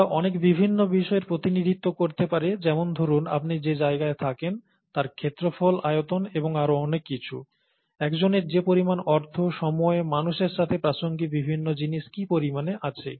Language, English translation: Bengali, They can represent many different things, they can represent, let’s say the space that you live in, the area, the volume and so on, the amount of money that one has, the amount of time that one has, the amounts of so many different things that are relevant to humans